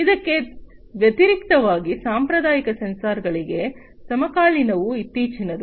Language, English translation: Kannada, So, in contrast, to the conventional sensors the contemporary ones the recent ones